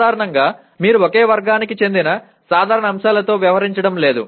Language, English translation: Telugu, Generally you are not dealing with knowledge elements belonging to only one category